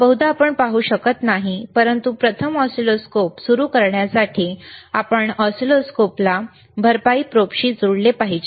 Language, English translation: Marathi, So, probably we cannot see, but to first start the oscilloscope, first to understand the oscilloscope